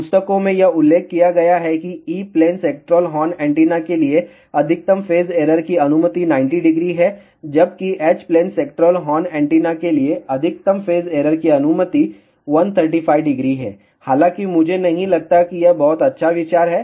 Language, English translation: Hindi, It has been mentioned in the books that for E plane sectoral horn antenna maximum phase error allowed is 90 degree, whereas for H plane sectoral horn antenna maximum phase error allowed is 135 degree